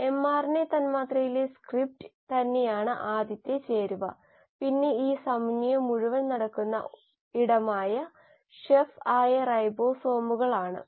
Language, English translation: Malayalam, The first ingredient is the script itself which is in the mRNA molecule, then the chef where this entire synthesis happens which are the ribosomes